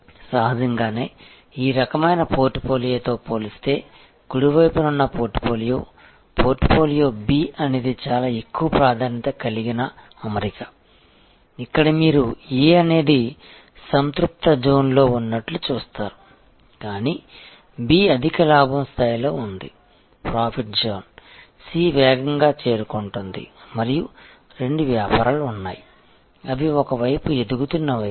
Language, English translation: Telugu, Obviously, compare to this kind of portfolio, the portfolio on the right hand side the portfolio B is a lot more preferred sort of arrangement, here you see that A is a kind of in the saturation zone, but the B is in a high profit zone, C is approaching that rapidly and there are two businesses, which are a kind of on the other side emerging side